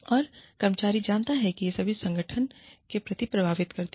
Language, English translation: Hindi, And, the employee knows, how much these things, affect the organization